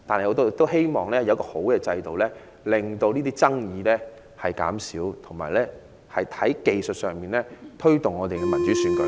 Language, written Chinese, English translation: Cantonese, 我們希望有一個好制度，令爭議減少，同時在技術上改進，推動民主選舉。, We hope that a good system will be put in place to reduce conflicts and at the same time technical improvements should be made to promote democratic elections